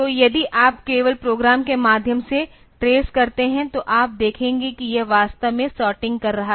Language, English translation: Hindi, So, if you just trace through the program; so, you will see that this is actually doing the is actually doing the sorting